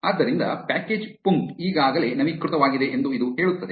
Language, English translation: Kannada, So, this says that package punkt is already up to date